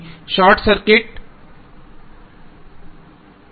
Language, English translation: Hindi, The short circuit current